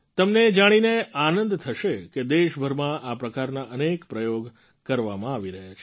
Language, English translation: Gujarati, You will be happy to know that many experiments of this kind are being done throughout the country